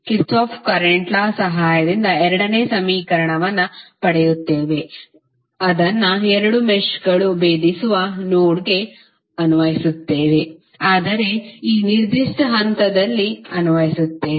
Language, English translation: Kannada, We will get the second equation with the help of Kirchhoff Current Law which we will apply to a node where two meshes intersect that means we will apply at this particular point